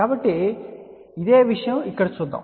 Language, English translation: Telugu, So, the same thing let us see over here